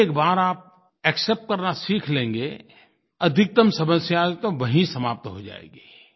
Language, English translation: Hindi, Once you learn to accept, maximum number of problems will be solved there and then